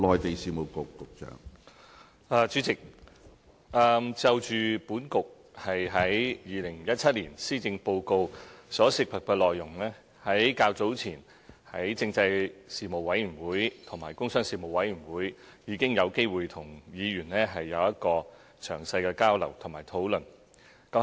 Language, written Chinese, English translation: Cantonese, 主席，就政制及內地事務局在2017年施政報告所涉及的內容，較早前在立法會政制事務委員會及工商事務委員會已經有機會跟議員有詳細的交流和討論。, President regarding the contents of the 2017 Policy Address that see the involvement of the Constitutional and Mainland Affairs Bureau I have had the opportunities to exchange views and discuss in depth with Members in the Panel on Constitutional Affairs and the Panel on Commerce and Industry of the Legislative Council earlier